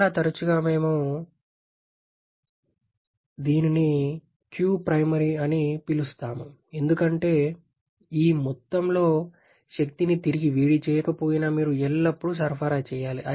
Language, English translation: Telugu, Quite often we call this to be qprimary, because even if there is no reheating this amount of energy you always have to supply